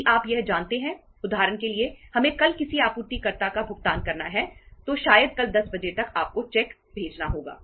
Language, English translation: Hindi, If you know that for example we have to make a payment of uh to a supplier tomorrow maybe tomorrow by maybe 10 oíclock you have to send the cheque